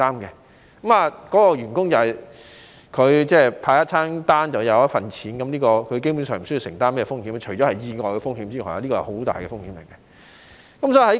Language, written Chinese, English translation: Cantonese, 員工派送一份餐便有一份錢，基本上不需要承擔風險，除了意外的風險，而這是很大的風險。, its profit or loss . Platform workers will get paid for each takeaway they have delivered and there is basically no risk for them to bear except the risk of accidents but this is also a major risk